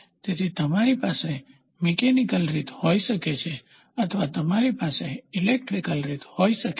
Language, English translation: Gujarati, So, you can have a mechanical way or you can have an electrical way